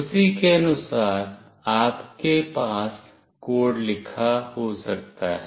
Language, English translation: Hindi, Accordingly you can have the code written